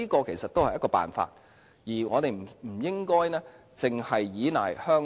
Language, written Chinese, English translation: Cantonese, 這是辦法之一，我們不應單依賴香港。, This is one of the solutions and we should not solely rely on Hong Kong